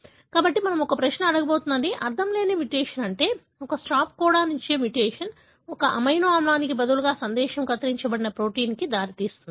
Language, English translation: Telugu, So, what we are going to ask a question is can a nonsense mutation, meaning a mutation that gives a stop codon as, as the message instead of an amino acid can result in a truncated protein